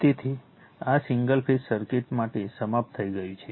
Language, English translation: Gujarati, So, with this single phase circuit is over right